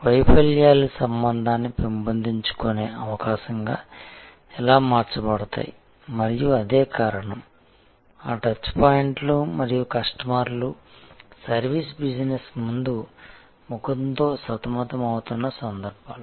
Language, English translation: Telugu, How failures can be converted into an opportunity for developing relationship and that is the reason, why those touch points and that occasions of customer coming in touch with the front face of the service business as moments of truth